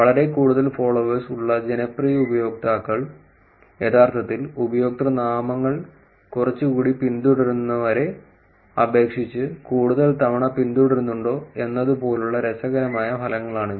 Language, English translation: Malayalam, This will actually be interesting results like whether popular users who are having a lot more followers are actually changing the usernames more frequently versus people who have lesser number of followers